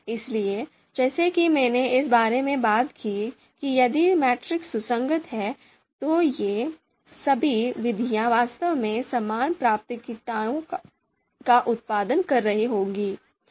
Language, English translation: Hindi, So as I talked about if the matrix is consistent, then all these methods would would would actually be producing the identical priorities